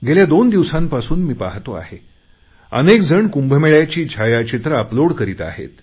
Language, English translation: Marathi, I have been noticing for the last two days that many people have uploaded pictures of the Simhastha Kumbh Mela